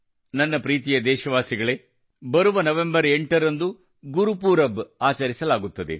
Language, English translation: Kannada, My dear countrymen, the 8th of November is Gurupurab